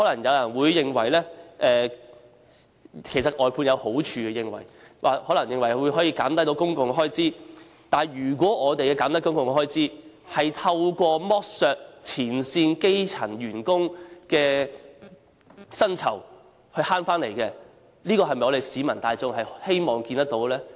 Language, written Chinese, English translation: Cantonese, 有人或會認為外判有好處，例如可以減低公共開支，但如果減低公共開支是透過剝削前線基層員工的薪酬而達致的，這是否市民大眾希望看見的呢？, Some people may consider that outsourcing has merits such as the effect of reducing public expenditure . But if the reduction of public expenditure is achieved through exploitation of frontline grass - roots workers of their wages is this what the general public wish to see?